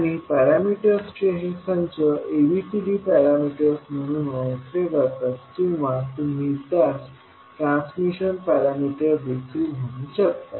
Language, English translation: Marathi, And these sets of parameters are known as ABCD parameters or you can also say them as transmission parameters